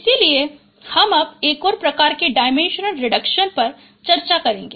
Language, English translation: Hindi, So I will be now discussing another another type of dimension reduction